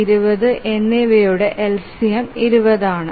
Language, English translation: Malayalam, So the LCM of 10 and 20 is 20